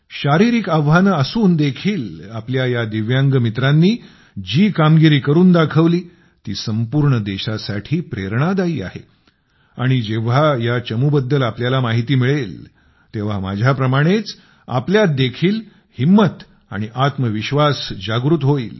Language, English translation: Marathi, Despite the challenges of physical ability, the feats that these Divyangs have achieved are an inspiration for the whole country and when you get to know about the members of this team, you will also be filled with courage and enthusiasm, just like I was